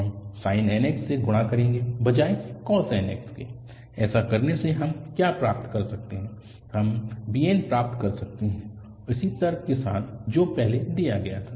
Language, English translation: Hindi, We will multiply by sin nx instead of cos nx, by doing so what we can get, we can get bn with the similar same argument which is done earlier